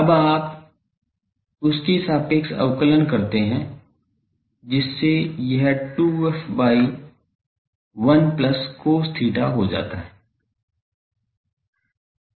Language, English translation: Hindi, Now, you differentiate with respect to these that becomes 2 f by 1 plus cos theta